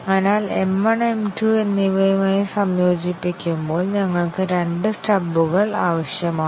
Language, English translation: Malayalam, So, when we integrate M 1 with M 2, we need two stubs